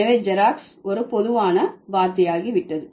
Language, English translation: Tamil, So, this Xerox has become a generified word